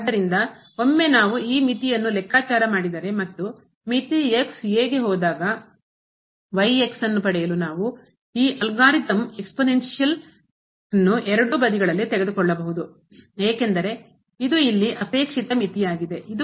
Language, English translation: Kannada, So, once we compute this limit and we can take this algorithm exponential both the sides to get this limit goes to a because this was the desired limit here this was the